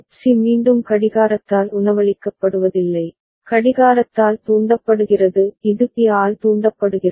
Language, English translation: Tamil, C is not again fed by clock, triggered by clock it is triggered by B